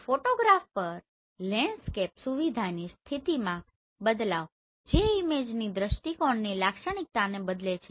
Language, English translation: Gujarati, The shift in position of a landscape feature on a photograph that alters the perspective characteristic of the image